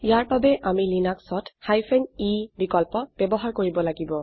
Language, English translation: Assamese, For this in Linux we need to use the e option